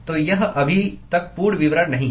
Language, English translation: Hindi, So, it is not a complete description yet